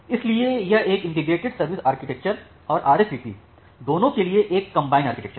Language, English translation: Hindi, So, this is the architecture for integrated service architecture and RSVP together